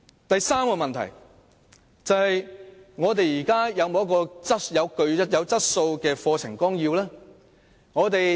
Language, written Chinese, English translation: Cantonese, 第三個問題是，現時有否具質素的課程綱要？, The third problem is whether there are quality syllabuses?